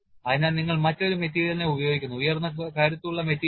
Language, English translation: Malayalam, So, you use a different material high strength material